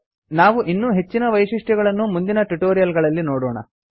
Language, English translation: Kannada, We shall look at more features, in subsequent tutorials